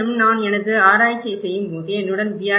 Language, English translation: Tamil, Also, when I was doing my research, I used to engage some of the B